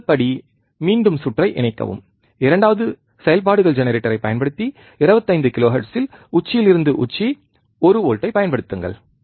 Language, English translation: Tamil, First step let us repeat connect the circuit second apply one volt peak to peak at 25 kilohertz using functions generator